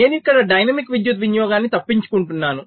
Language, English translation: Telugu, so i am avoiding dynamic power consumption here